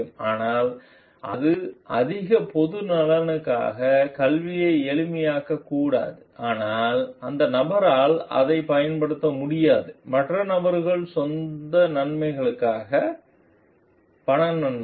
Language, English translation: Tamil, But, not making like because it facilitates education for the greater public interest but cannot be used for it by the person, for other person for own benefits monetary benefits